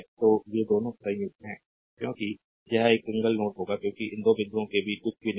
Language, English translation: Hindi, So, these 2 are combined, because it will be a single node because nothing is there in between these 2 points